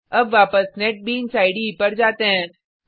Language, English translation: Hindi, Now go back to the Netbeans IDE